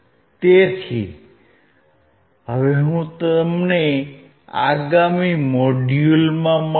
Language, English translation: Gujarati, So, I will see you in the next module